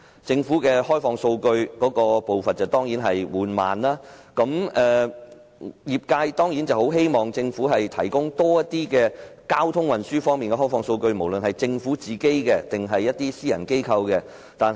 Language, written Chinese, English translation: Cantonese, 政府開放數據的步伐緩慢，業界當然希望政府提供更多交通運輸的開放數據，無論是政府自己或私人機構掌握的。, The Governments pace of opening up data is slow . The industry certainly hopes that the Government can provide more open data on transport and transportation whether such data are owned by the Government itself or private organizations